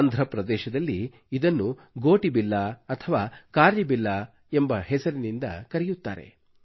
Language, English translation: Kannada, In Andhra Pradesh it is called Gotibilla or Karrabilla